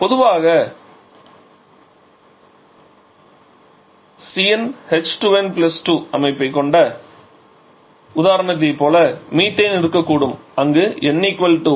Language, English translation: Tamil, Alkenes which have the structure generally Cn H2n+2 like common example can be methane where n = 1